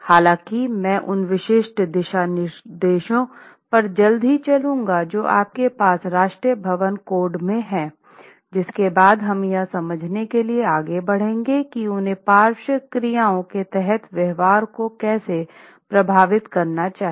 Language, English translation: Hindi, So, I will quickly go over the specific guidelines that you have in National Building Code, which we will then carry forward to understand how they should affect the behavior under lateral actions